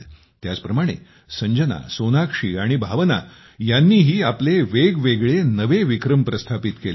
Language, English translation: Marathi, Similarly, Sanjana, Sonakshi and Bhavna have also made different records